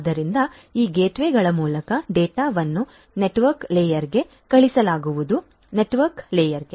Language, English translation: Kannada, So, through these gateways the data are going to be sent to the network layer; the network layer